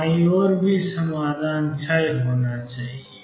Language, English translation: Hindi, On the left hand side the solution should also decay